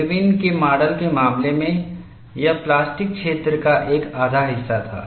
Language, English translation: Hindi, In the case of Irwin’s model, it was a plus 1 half of plastic zone; that is what we had looked at